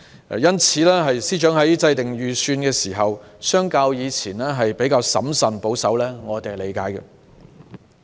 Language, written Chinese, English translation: Cantonese, 因此，司長在制訂預算的時候相較以前審慎保守，我們能夠理解。, Therefore the Financial Secretary has been more cautious and conservative in formulating the Budget which is understandable